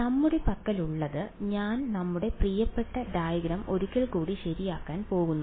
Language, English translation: Malayalam, So, what we have I am going to a draw our favourite diagram once again right